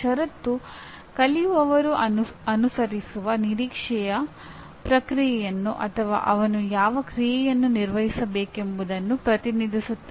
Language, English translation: Kannada, Condition represents the process the learner is expected to follow or the condition under which to perform the action